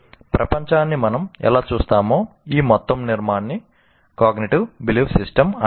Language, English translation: Telugu, And this total construct of how we see the world is called cognitive belief system, the entire thing